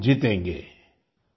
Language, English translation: Hindi, And we will win